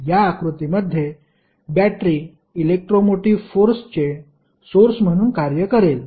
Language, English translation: Marathi, Here, battery will act as a source of electromotive force that is simply called as emf